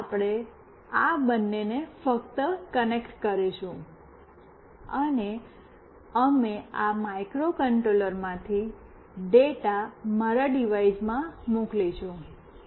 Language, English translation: Gujarati, First we will just connect these two, and we will send a data from this microcontroller to my device